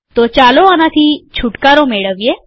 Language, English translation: Gujarati, So lets get rid of this